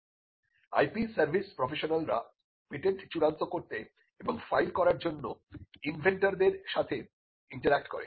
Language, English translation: Bengali, Then the IP service professionals interact with inventors to finalize and file the patent